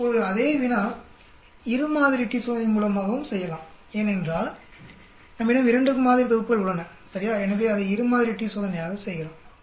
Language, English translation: Tamil, Now the same problem can be done as a two sample t test also because we have 2 sets of sample right so we can do it as a two sample t test um